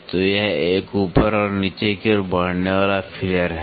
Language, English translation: Hindi, So, this is a moving one up and down feeler